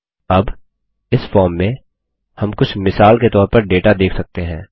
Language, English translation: Hindi, Now, in this form, we see some sample data